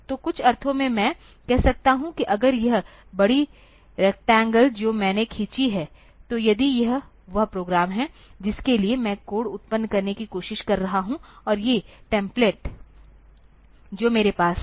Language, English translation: Hindi, So, in some sense I can say that if this big rectangle that I have drawn, so, if this is the program for which, I am trying to generate the code, and these templates that I have